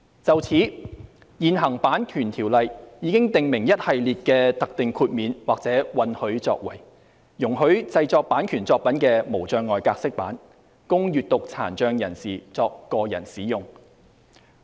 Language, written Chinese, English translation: Cantonese, 就此，現行《版權條例》已訂明一系列的特定豁免或允許作為，容許製作版權作品的"無障礙格式版"，供閱讀殘障人士作個人使用。, To this end the existing Copyright Ordinance has already set out a series of specific exceptions or permitted acts that allow the production of accessible copies of copyright works for personal use by persons with a print disability